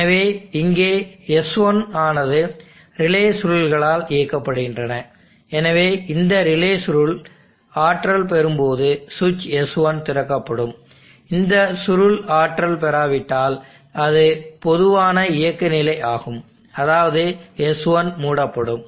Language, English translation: Tamil, Switches s1 and s2 are relays they are driven by relay coils, so there is a relay coil here which will drive switch s1, so when this relay coil is energized then the switch s1 will be open, if this coil is not energized then that is the normal operating condition s1 will be closed, normally closed